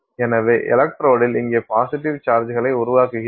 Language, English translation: Tamil, So, this is the electrode and you build negative charges here